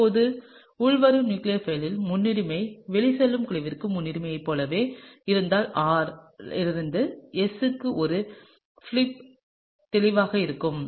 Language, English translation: Tamil, Now, if the priority of the incoming nucleophile is the same as the priority for the outgoing leaving group, then there would be clearly a flip from R to S